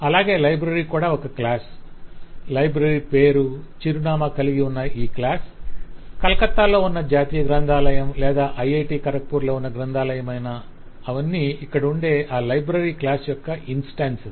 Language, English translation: Telugu, The library itself is a class which has a name and an address, whether it is the national library situated at Calcutta, which is a central library of IIT Kharagpur, and so on